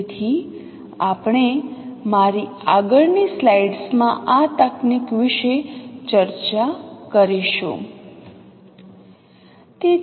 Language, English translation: Gujarati, So we will discuss this technique in my next slides